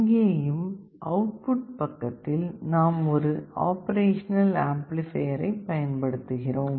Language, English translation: Tamil, On the output side, we are using an operational amplifier